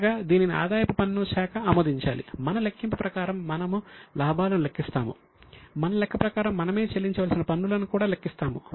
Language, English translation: Telugu, Until it is approved by department, we will show as per our calculation, we will calculate the profit, as per our calculation, we will also calculate the taxes payable